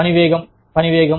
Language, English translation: Telugu, Work pace, speed of work